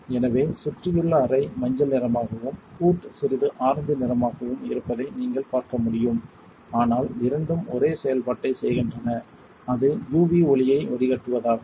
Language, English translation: Tamil, So, as you can see the room around is yellow and the hood is little bit orange, but the both serve the same function and that is to filter u v light